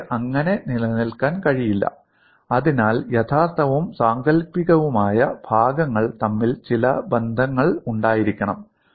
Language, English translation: Malayalam, They cannot exist like, that so there has to be some interrelationship between the real and imaginary points